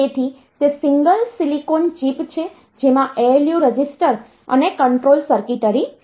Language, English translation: Gujarati, So, it is a single silicon chip which has got ALU registers and control circuitry